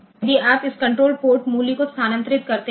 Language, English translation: Hindi, So, if you move this control port value control